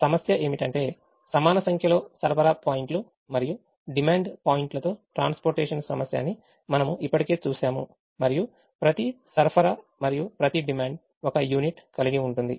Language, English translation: Telugu, we have already seen that the problem is a transportation problem with an equal number of supply points and demand points, and each supply and each demand having one unit